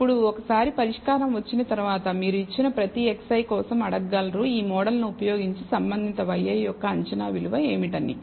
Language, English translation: Telugu, So, now, once you get the solution you can ask for every given x i, what is the corresponding predicted value of y i using the model